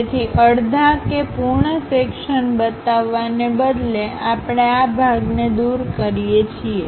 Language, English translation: Gujarati, So, instead of showing complete half, full section kind of thing; we use remove this part